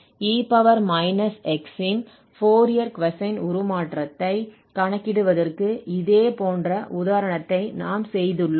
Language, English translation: Tamil, A similar example we have done for computing Fourier cosine transform of e power minus x